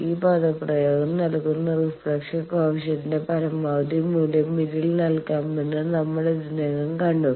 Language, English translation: Malayalam, Already, we have seen that this also that we can put a maximum value of the reflection coefficient that gives us this expression